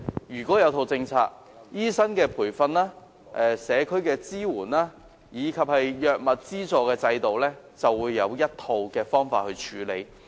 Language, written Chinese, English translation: Cantonese, 如果有一整套政策，醫生培訓、社區支援及藥物資助制度便可以按照一套既定方法處理。, If a comprehensive policy can be put in place we may proceed with doctors training community support and the drugs subsidy system under an established approach